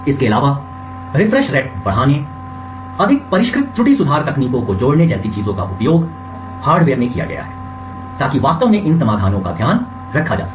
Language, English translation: Hindi, Also, things like increasing the refresh rate, adding more sophisticated error correction techniques have been used in the hardware to actually make this to take care of these solutions